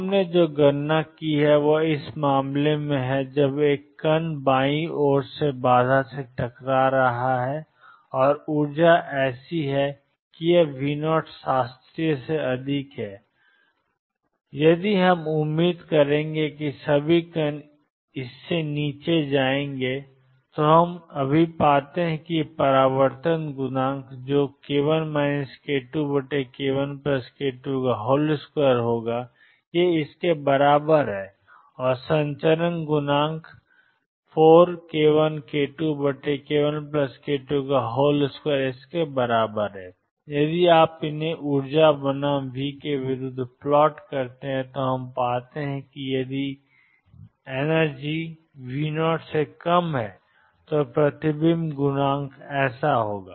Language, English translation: Hindi, So, what we have calculated is in this case when a particle is going from the left hitting a barrier and the energy is such that this is greater than V 0 classical if we would expect that all the particles will go this below what we find now is that there is a reflection coefficient which is equal to k 1 minus k 2 over k 1 plus k 2 whole square and the transmission coefficient which is four k 1 k 2 over k 1 plus k 2 square if you plot these against the energy versus V then what we find is if e is less than V 0 the reflection coefficient